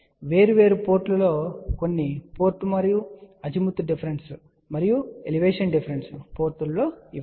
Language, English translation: Telugu, And these are the measurements done at different ports some port and Azimuth difference and Elevation difference ports